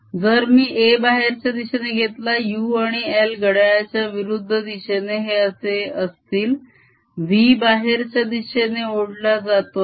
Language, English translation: Marathi, if i took area a to be coming out, u and l will be counterclockwise like this: as v is being pulled out, as v is being pulled out, a area is increasing